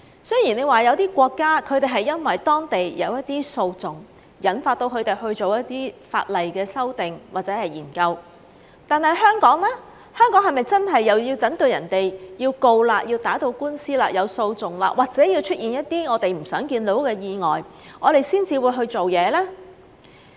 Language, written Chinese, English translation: Cantonese, 雖說有一些國家因為當地有一些訴訟，引發他們去做一些法例的修訂或者研究，但香港是否真的又要等別人要打官司，提起訴訟，或者出現一些我們不想看到的意外，我們才會去做事呢？, Some countries as a result of some litigations have amended their laws or conducted studies on this subject . But should we wait until people have taken this matter to court or this matter has led to litigation or some tragic accidents have happened here in Hong Kong before we take any action?